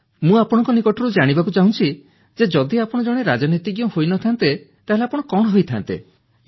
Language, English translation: Odia, I want to know from you;had you not been a politician, what would you have been